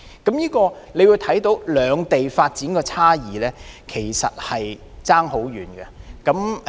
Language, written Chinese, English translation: Cantonese, 從這例子可見，兩地的發展其實相差甚遠。, As shown by this example there is actually a vast development gap between the two places